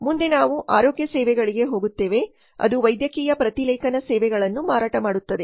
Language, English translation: Kannada, Next we go to healthcare services that is marketing the medical transcription services